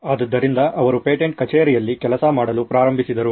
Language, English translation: Kannada, So he started working at a patent office